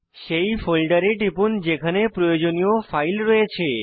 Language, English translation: Bengali, Click on the folder where the required file is located